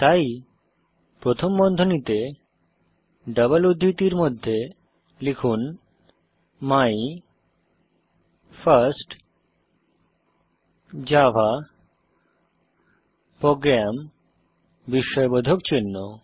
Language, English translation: Bengali, So Within parentheses in double quotes type, My first java program exclamation mark